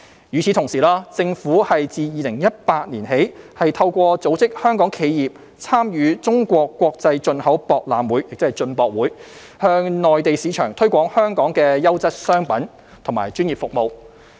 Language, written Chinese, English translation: Cantonese, 與此同時，政府自2018年起透過組織香港企業參與中國國際進口博覽會，向內地市場推廣香港的優質商品和專業服務。, Meanwhile since 2018 the Government has organized the participation of Hong Kong enterprises in the China International Import Expo CIIE to promote Hong Kongs quality products and professional services in the Mainland market